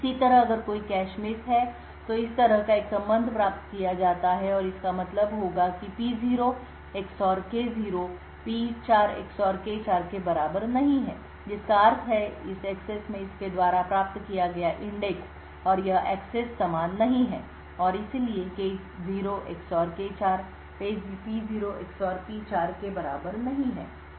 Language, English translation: Hindi, Similarly if there is a cache miss then a relation such as this is obtained and it would mean that P0 XOR K0 is not equal to P4 XOR K4 which means that the index accessed by this in this access and this access are not the same and therefore K0 XOR K4 is not equal to P0 XOR P4